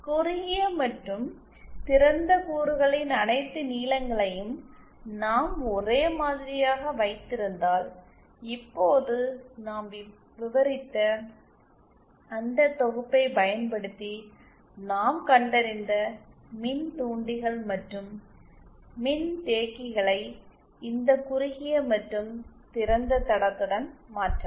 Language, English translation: Tamil, If we keep all the lengths of the short and open element same then we can replace the inductors and capacitors that we found using those synthesis that we described just now with this short and open line